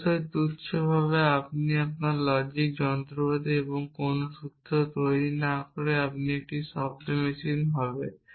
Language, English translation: Bengali, Of course, trivially if your logic machinery does not produce any formulas that will be a sound machine